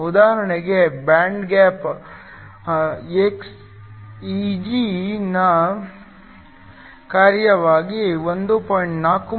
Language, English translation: Kannada, For example, the band gap Eg as a function of x is nothing but 1